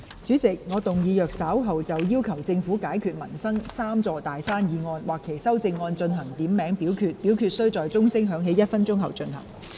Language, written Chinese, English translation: Cantonese, 主席，我動議若稍後就"要求政府解決民生'三座大山'"所提出的議案或其修正案進行點名表決，表決須在鐘聲響起1分鐘後進行。, President I move that in the event of further divisions being claimed in respect of the motion on Requesting the Government to overcome the three big mountains in peoples livelihood or any amendments thereto this Council do proceed to each of such divisions immediately after the division bell has been rung for one minute